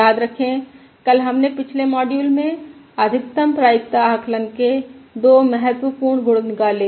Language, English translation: Hindi, Remember yesterday we derived two important properties of the Maximum um Likelihood Estimate in the previous module